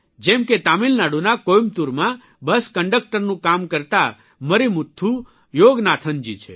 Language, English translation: Gujarati, For example, there isMarimuthuYoganathan who works as a bus conductor in Coimbatore, Tamil Nadu